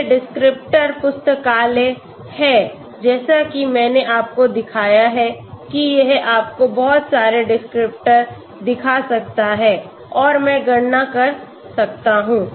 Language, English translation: Hindi, So this is a very nice software okay so the descriptors library as I showed you it can show you lot of descriptors and I can calculate okay